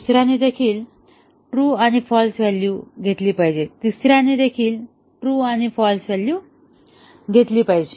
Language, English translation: Marathi, The second one also should take true and false value, the third one should also take true and false value